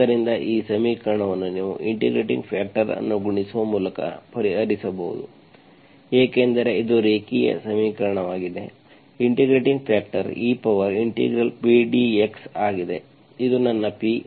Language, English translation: Kannada, So this equation you can solve by multiplying an integrating factor, because it is linear equation, integrating factor is e power integral, this is my E